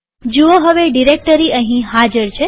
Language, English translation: Gujarati, See the directory is now present here